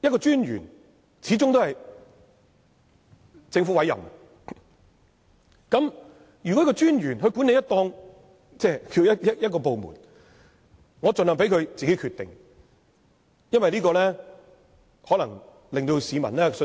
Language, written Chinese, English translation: Cantonese, 專員是由政府委任，專員在管理這個部門，特首盡量由他自行決定，這樣可能令市民有較大的信心。, The Commissioner is appointed by the Government . If the Chief Executive allow the Commissioner who is in charge of this department to make his own decisions without outside interference public confidence can be boosted